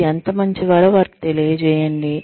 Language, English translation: Telugu, Let them know, how good you are